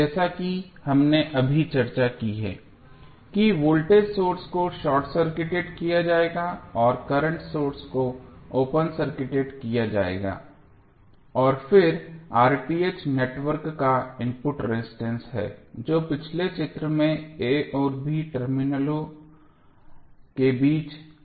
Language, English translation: Hindi, As we just discussed that voltage source would be short circuited and current source will be open circuited and then R Th is the input resistance of the network looking between the terminals a and b that was shown in the previous figure